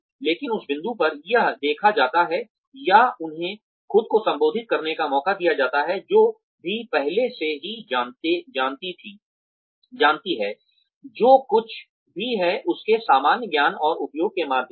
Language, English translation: Hindi, But, at that point, it is seen, or they are given a chance to prove themselves, through the use of sheer common sense and application of whatever, they already know